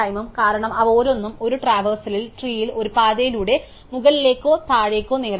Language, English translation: Malayalam, Because, each of them can be achieved in one traversal up or down a path in the tree